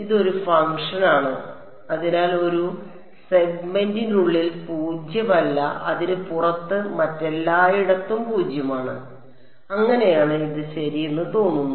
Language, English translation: Malayalam, So, it is a function and so, non zero only within a segment, zero everywhere else outside it that is how it looks like ok